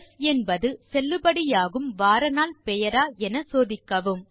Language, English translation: Tamil, Check if s is a valid name of a day of the week